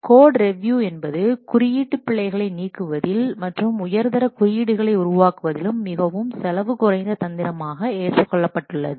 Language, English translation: Tamil, The code review has been recognized as an extremely cost effective strategy for eliminating the coding errors and for producing high quality code